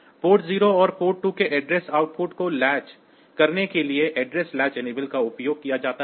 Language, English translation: Hindi, So, address latch enable to latch the address outputs of port 0 and port 2